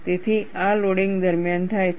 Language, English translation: Gujarati, So, this happens during loading